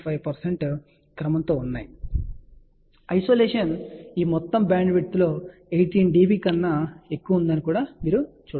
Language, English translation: Telugu, So, isolation was you can see that greater than 18 dB over this entire bandwidth